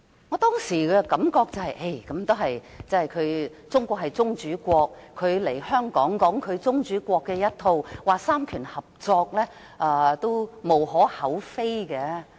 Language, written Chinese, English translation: Cantonese, 我當時的感覺是，中國是宗主國，他來港述說宗主國的一套，說到三權合作，也無可厚非。, My then feeling was that as China was the sovereign State it was understandable that he took the line of the sovereign State and talked about cooperation of powers in Hong Kong